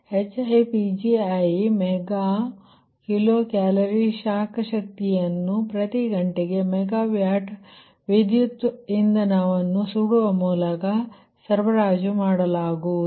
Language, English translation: Kannada, right, this is hipgi, the mega kilo calorie of heat energy supplied by burning the fuel, per mega watt hour of electrical, electric energy